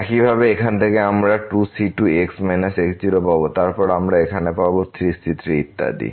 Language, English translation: Bengali, Similarly from here we will get 2 time and minus then we will get here 3 time and so on